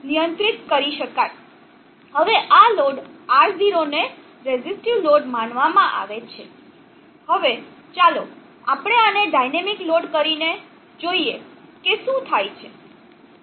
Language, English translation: Gujarati, Now this load R0 is conductor resistive, now let us make this into a dynamic load and see what happens